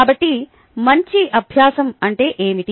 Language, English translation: Telugu, so what is better learning